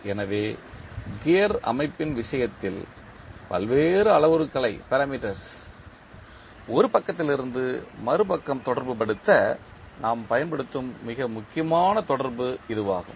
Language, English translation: Tamil, So, this is the most important correlation which we use in case of gear system to correlate the various parameters from one side to other side